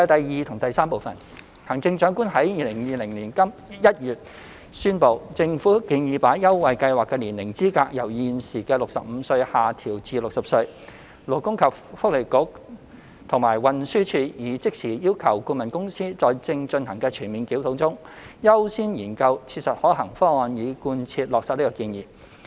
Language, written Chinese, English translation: Cantonese, 二及三行政長官在2020年1月宣布，政府建議把優惠計劃的年齡資格由現時的65歲下調至60歲。勞工及福利局和運輸署已即時要求顧問公司在正進行的全面檢討中，優先研究切實可行的方案，以貫徹落實這建議。, 2 and 3 Following the announcement by the Chief Executive in January 2020 of the Governments proposal to lower the age eligibility of the Scheme from the current 65 to 60 the Labour and Welfare Bureau and the Transport Department have immediately requested the consultant to accord priority to studying practical options to implement the proposal in the comprehensive review being conducted